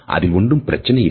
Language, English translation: Tamil, It would not be any trouble